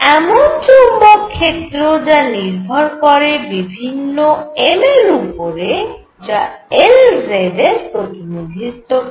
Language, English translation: Bengali, So, if I apply a magnetic field B according to different m’s that represent L z